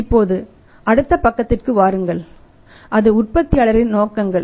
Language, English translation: Tamil, Now come to the next side that is the objectives of the manufacturer's